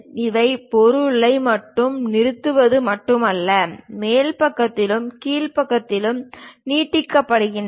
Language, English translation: Tamil, These are not just stopping on the object, but extend all the way on top side and bottom side